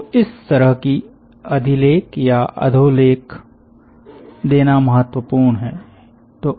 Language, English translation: Hindi, so it is important to give a kind of superscript or subscript to this